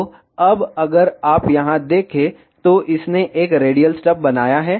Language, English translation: Hindi, So, now if you see here, it has created a radial stub